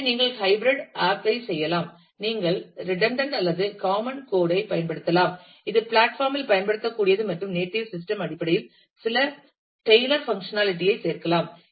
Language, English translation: Tamil, So, you could do a hybrid app also where, you could use redundant or common code, which is usable across platform and add some tailor functionality in terms of the native system